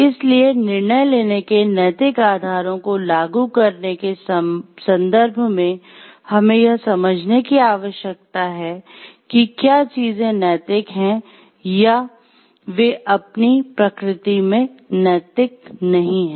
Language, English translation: Hindi, So, in a given context applying the ethical pillars of decision making, we need to understand whether things are ethical or not ethical in nature